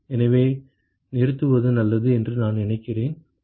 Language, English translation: Tamil, So, I think it is a good point to stop